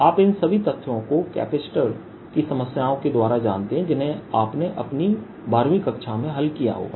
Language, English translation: Hindi, you know all this from the capacitor problems you solve in your twelfth field